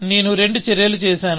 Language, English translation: Telugu, I have done two actions